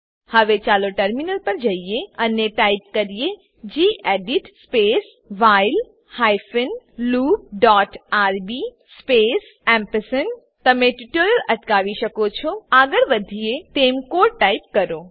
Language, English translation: Gujarati, Now let us switch to the terminal and type gedit space while hyphen loop dot rb space You can pause the tutorial, type the code as we go through it